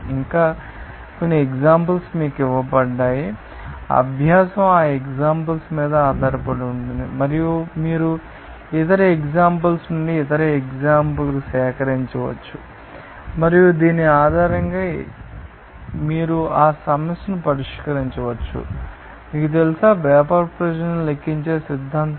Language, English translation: Telugu, And also, some examples are given you just, you know, practice is based on that examples and also you can collect other examples from other different books and you can solve that problem based on this, you know, theory of calculating the vapour pressure